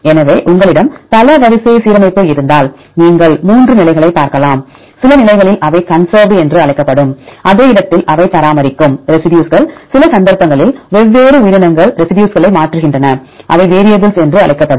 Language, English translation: Tamil, So, if you have multiple sequence alignment, you can look at the three positions, in some positions you can see that is a residues they maintain at the same location they are called conserved, and some cases different organism they change the residues they are called variable